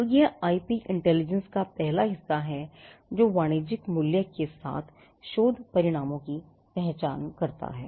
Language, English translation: Hindi, So, that is the first part of IP intelligence identifying research results with commercial value